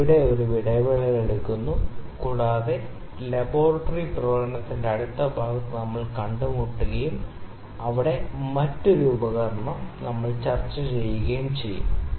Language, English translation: Malayalam, So, I will take a break here and we will meet in the next part of laboratory demonstration where I will discuss another instrument